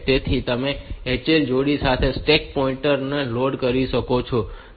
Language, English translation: Gujarati, So, you can have the stack pointer loaded with the HL pair